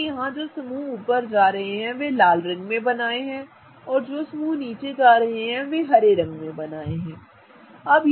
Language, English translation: Hindi, What I have done here is that all the groups that are going up are drawn in red and all the groups that are going down are drawn in green